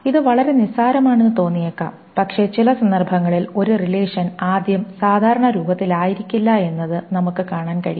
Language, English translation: Malayalam, And this seems to be very trivial, but in some cases we can see that a relation may not be in first normal form